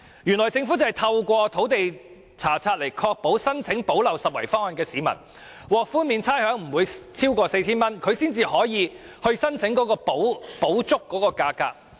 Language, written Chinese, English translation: Cantonese, 原來政府可透過土地查冊來確保提出申請的市民，不會獲差餉寬免超過 4,000 元，這樣他們才合資格申請補足差額。, Actually the Government can through land search confirm that the applicant has not received rates concession of more than 4,000 and is thus eligible for receiving the shortfall